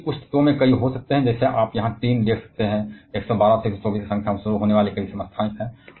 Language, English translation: Hindi, Whereas, some of the elements can have several; like, you can see here Tin, it has several isotopes starting from mass number of 112 to 124